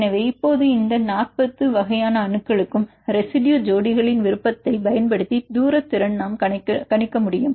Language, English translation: Tamil, So, now for all these 40 types of atoms we can calculate the distance potential using the preference of residue pairs